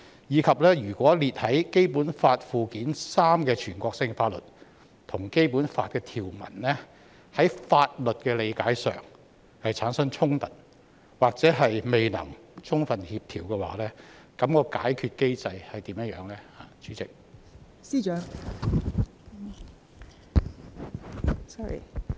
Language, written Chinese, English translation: Cantonese, 如果列在《基本法》附件三的全國性法律跟《基本法》的條文，在法律理解上產生衝突，或未能充分協調，那麼解決機制為何？, If the national laws listed in Annex III to the Basic Law are in conflict with the provisions of the Basic Law in terms of legal understanding or fail to fully complement with the Basic Law what will be the mechanism for resolution?